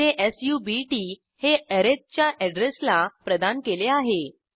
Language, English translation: Marathi, Here we set subt to the address of arith